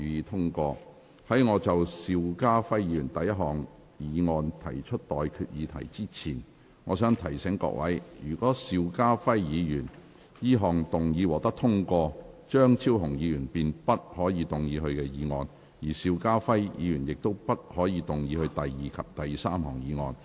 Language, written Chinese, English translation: Cantonese, 在我就邵家輝議員的第一項議案提出待決議題之前，我想提醒各位，若邵家輝議員此項議案獲得通過，張超雄議員便不可動議他的議案，而邵家輝議員亦不可動議他的第二及第三項議案。, Before I put to you the question on Mr SHIU Ka - fais first motion I wish to remind Members that if Mr SHIU Ka - fais motion is passed Dr Fernando CHEUNG may not move his motion and Mr SHIU Ka - fai may not move his second and third motions either